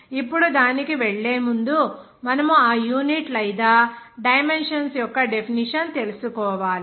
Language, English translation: Telugu, Now before going to that, you have to know the definition of that unit or dimensions